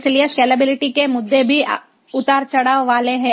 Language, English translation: Hindi, so scalability issues are there